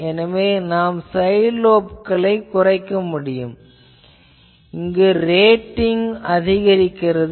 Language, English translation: Tamil, So, I can reduce the side lobes; obviously, I will have to increase the rating